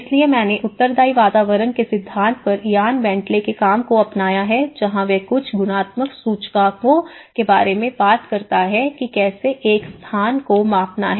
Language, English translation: Hindi, So I have adopted Ian Bentley’s work on the theory of responsive environments where he talks about certain qualitative indices how to measure a space